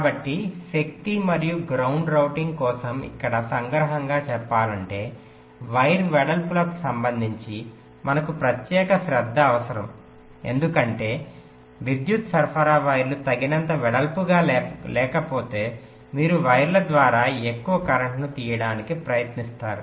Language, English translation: Telugu, ok, so to summarize here: for power and ground routing we need special attentions with respect to the wire widths, because if the power supply wires are not width enough, then you will be trying to draw more current through the wires which are not design to to handle those high currents and there may be some physical break down in the wires